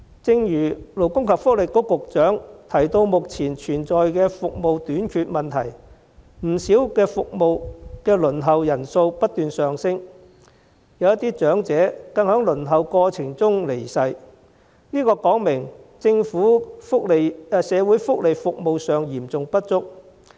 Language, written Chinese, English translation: Cantonese, 正如勞工及福利局局長早前提到，目前服務短缺，不少服務的輪候人數不斷上升，有些長者更在輪候過程中離世，這說明政府社會福利服務嚴重不足。, As indicated by the Secretary for Labour and Welfare earlier given the existing shortage of services the number of people waiting for many services has been on the rise and some elderly people even passed away in the waiting process . This reflects the severe shortage of social welfare services provided by the Government